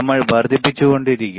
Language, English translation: Malayalam, If I keep on increasing, you see